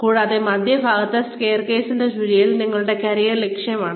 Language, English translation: Malayalam, And, right in the center, right in the vortex of the staircase, is your career objective